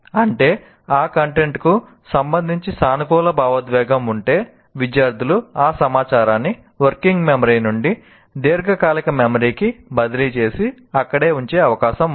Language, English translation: Telugu, So this is, that means if there is a positive emotion with respect to that content, it's possible that the students will transfer that information from working memory to the long term memory and retain it there